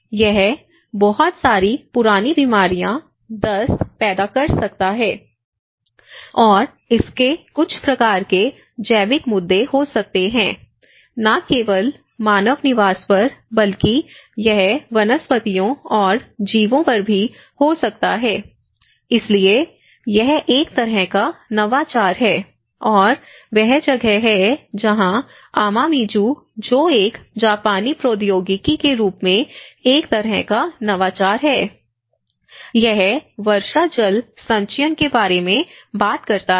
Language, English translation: Hindi, One is; it can create a lot of chronic diseases, diarrhoea and you know it can have some kind of biological issues not only on the human habitation but also it can have on the flora and the fauna as well, so that is where there is a kind of innovation which came into the picture, and that is where Amamizu which is a kind of innovation as a Japanese technology, it is talks about rainwater harvesting